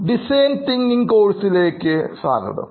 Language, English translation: Malayalam, Hello and welcome back to design thinking course